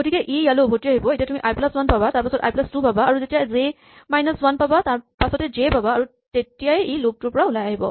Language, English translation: Assamese, So, it comes back here and you check now you get i plus 1, i plus 2, and then when you reach j minus 1 then next time it will be j and it will exit